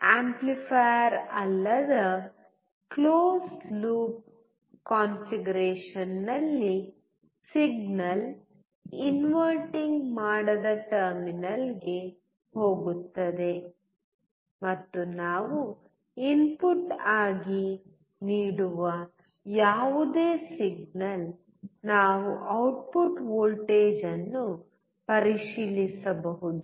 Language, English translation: Kannada, In non amplifier close loop configuration, the signal will go to the non inverting terminal, and whatever signal we are giving as input, we have to check the output voltage